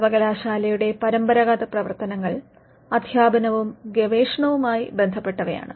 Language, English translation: Malayalam, The traditional functions of the university pertain to teaching and research